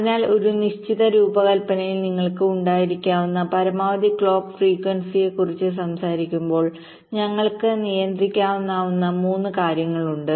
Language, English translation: Malayalam, ok, so when we talk about the maximum clock frequency that you can have in a given design, there are three things that we can possibly control